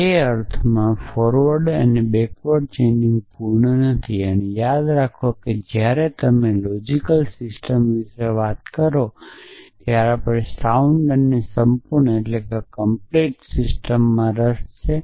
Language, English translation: Gujarati, So, in that sense forward and backward chaining are naught complete and remember that when you talk about logical systems we are interested in sound and complete system